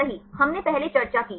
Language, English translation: Hindi, Right that we discussed earlier